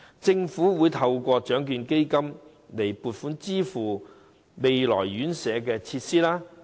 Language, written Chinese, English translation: Cantonese, 政府會透過獎券基金撥款支付未來院舍的設施開支。, The Government will make provision from the Lotteries Fund for the payment of expenditure on facilities of the future residential homes